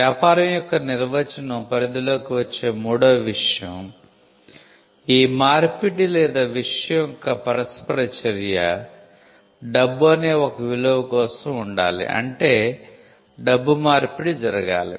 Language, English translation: Telugu, The third thing that to fall within the definition of a business, this exchange or this interaction of the thing the interaction of the thing, has to be for a value which means money passes hands, or the exchange is itself of valuable goods